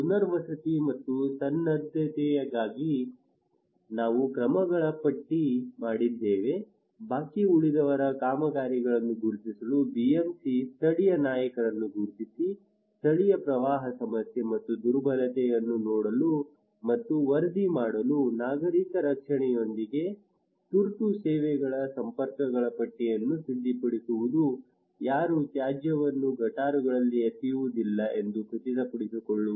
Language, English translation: Kannada, Also we list of actions for rehabilitation and preparedness like to identifying the pending works BMC identifying the local leaders to look and report local flood problem and vulnerability, preparing list of contacts of emergency services meeting with civil defence, ensuring that nobody is throwing waste in gutters